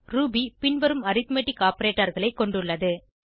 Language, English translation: Tamil, Ruby has following arithmetic operators